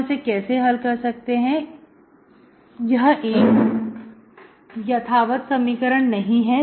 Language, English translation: Hindi, How do we solve this, this is not an exact equation